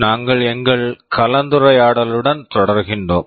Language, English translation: Tamil, We continue with our discussion